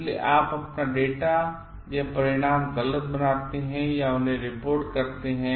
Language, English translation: Hindi, So, you fabricate your data or results or report them